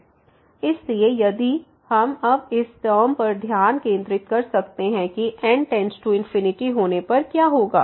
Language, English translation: Hindi, So, if we can now focus on this term that what will happen when goes to infinity